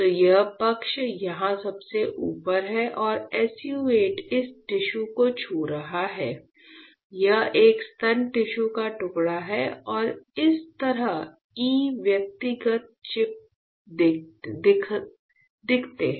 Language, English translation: Hindi, So, this side is here in the top and the SU 8 is touching this tissue; this is a breast tissue slice and this is how the E individual chips looks like right